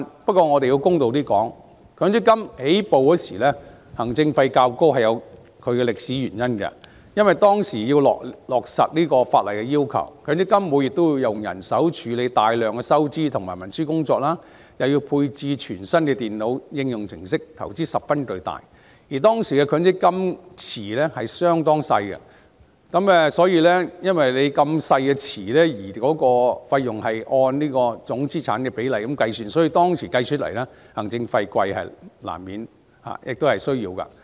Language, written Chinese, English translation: Cantonese, 不過，我們要公道點，強積金推出初期行政費較高是有其歷史原因，因為當時要落實法例的要求，強積金每月會以人手處理大量的收支和文書工作，又要配置全新的電腦應用程式，投資十分龐大，而當時強積金資金池的規模相當小，資金池小而費用按總資產的比例計算，故此當時行政費高昂是在所難免，亦有其需要。, Since legislation was to be implemented at that time a huge investment was involved given that a large amount of income and expenditure and paperwork for MPF had to be handled manually each month and new computer programmes were deployed . At that time the size of the MPF pool was very small . Given a small pool of capital and the calculation of fees based on total assets the high administration fees were inevitable and necessary at that time